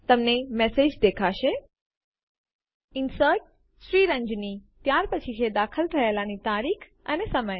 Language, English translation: Gujarati, You will see the message Inserted Ranjani: followed by date and time of insertion